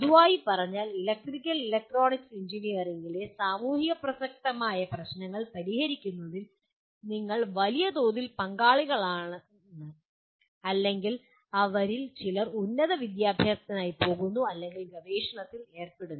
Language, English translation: Malayalam, So by and large you are involved in solving socially relevant problems in electrical and electronic engineering or we expect some of them go for higher education or even involved in research